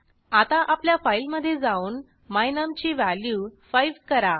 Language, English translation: Marathi, Lets go back to our file and change the value of my num to 5